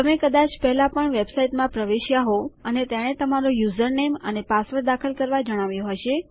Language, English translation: Gujarati, Youve probably logged into a website before and it said to enter your username and password